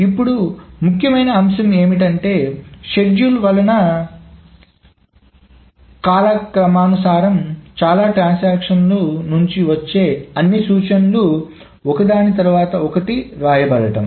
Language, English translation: Telugu, Now the important part is that this is chronological, that means all the instructions from multiple transactions are written one after another